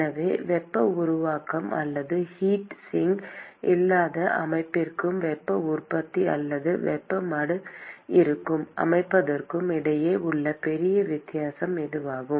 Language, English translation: Tamil, So, this is a big difference between what you have with a system where there is no heat generation or heat sink versus the system where there is heat generation or a heat sink